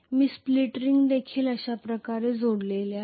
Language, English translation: Marathi, I am going to have the split ring also connected like this